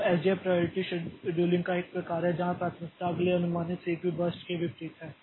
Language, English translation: Hindi, So, SJF is one type of priority scheduling where priority is the inverse of predicted next CPU burst